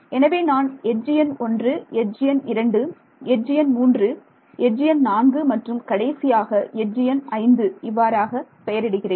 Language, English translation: Tamil, So, I can say edge number 1 is this, edge number 2 is this, edge number 3 is here and edge number 4 comes here and finally, I have edge number 5 ok